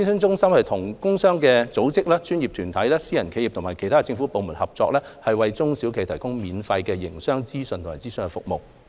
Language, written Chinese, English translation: Cantonese, 中心與工商組織、專業團體、私人企業和其他政府部門合作，為中小企業提供免費的營商資訊和諮詢服務。, SUCCESS provides SMEs with information on business operation and consultation services free of charge in collaboration with industrial and trade organizations professional bodies private enterprises and other government departments